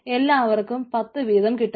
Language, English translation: Malayalam, so everybody is getting ten